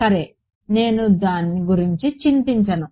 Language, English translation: Telugu, Well I would not worry about it